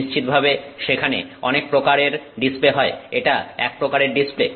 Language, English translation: Bengali, Of course there are different types of displays, this is one kind of a display